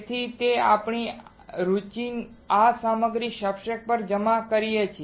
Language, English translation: Gujarati, So, that we can deposit this material of our interest onto the substrate